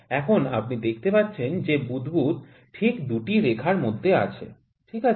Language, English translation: Bengali, Now you can see the bubble is exactly in the 2 lines, ok